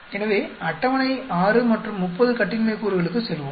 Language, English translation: Tamil, So, let us go to the table 6 and 30 degrees of freedom